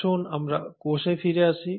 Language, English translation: Bengali, So letÕs come back to the cells